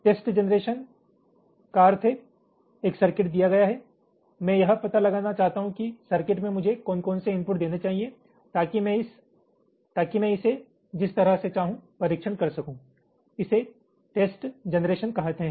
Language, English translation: Hindi, test generation means, given a circuit, i want to find out what are the inputs i need to apply to the circuit so that i can test it in the way i want